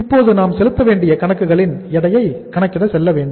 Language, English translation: Tamil, And now we have to go for the next weight that is the weight of accounts payable